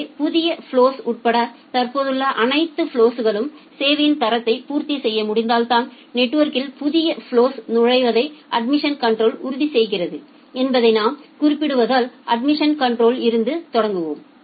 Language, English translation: Tamil, So, let us start with admission control as we are mentioning that admission control ensures that new flows are entered in the network only if the quality of service of all the existing flows including the new flow can be satisfied